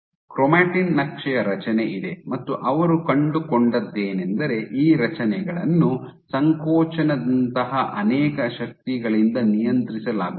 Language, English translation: Kannada, So, there is a structure of chromatin map, and what they find that these structures, is controlled by multiple forces like contractility